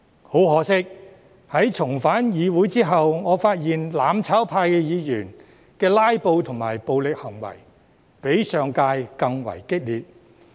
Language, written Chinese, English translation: Cantonese, 很可惜，在重返議會後，我發現"攬炒派"議員的"拉布"及暴力行為比上屆更為激烈。, Regrettably upon returning to the legislature I found that Members from the mutual destruction camp had resorted to filibustering tactics and violent behaviour which were more aggressive than those in the previous term